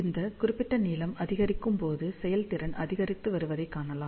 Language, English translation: Tamil, So, let us see, you can see that as this particular length increases, we can see that the efficiency is increasing